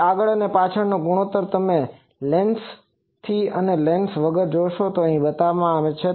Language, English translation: Gujarati, Then front to back ratio you see with lens and without lens is shown here